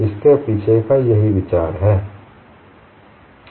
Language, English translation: Hindi, So that is the idea behind it